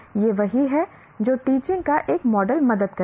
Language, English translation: Hindi, This is what a model of teaching will help